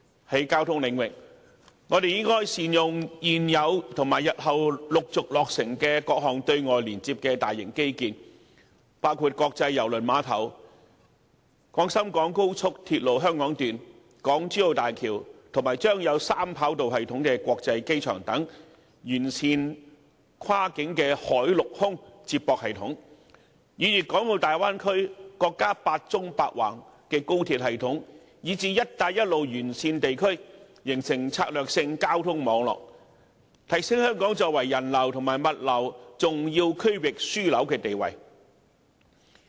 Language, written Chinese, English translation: Cantonese, 在交通領域，我們應善用現有及日後陸續落成的各項對外連接的大型機建，包括國際郵輪碼頭、廣深港高速鐵路香港段、港珠澳大橋及將有三跑道系統的國際機場，完善跨境海陸空接駁系統，以粵港澳大灣區、國家"八縱八橫"高鐵系統，以至"一帶一路"沿線地區，形成策略交通網絡，提升香港作為人流和物流重要區域樞紐的地位。, In terms of transport we should utilize the existing and upcoming major infrastructural facilities connecting external places including the Kai Tak Cruise Terminal the Hong Kong Section of the Guangzhou - Shenzhen - Hong Kong Express Rail Link the Hong Kong - Zhuhai - Macao Bridge and the Hong Kong International Airport with the Three Runway System . We should optimize cross - border sea land and air transport system and form a strategic transport network covering the Guangdong - Hong Kong - Macao Bay Area the national high - speed rail network comprising eight vertical lines and eight horizontal lines and even the Belt and Road countries so as to enhance Hong Kongs position as an important regional hub of passenger and freight transport